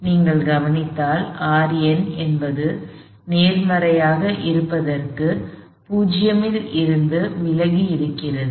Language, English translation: Tamil, If you notice we had R n pointing away from O being positive